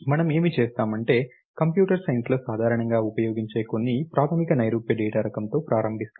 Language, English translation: Telugu, So, what will we do is we will start with some very basic abstract data type, which are commonly use in computer science